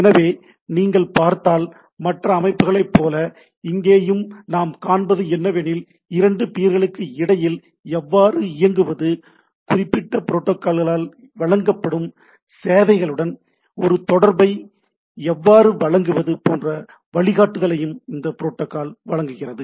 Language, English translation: Tamil, So, if you see these like any other systems, here also what we see this protocols provides a guideline how to inter operate between two peers and how to basically provide a interface with the services which are provided by that particular protocol right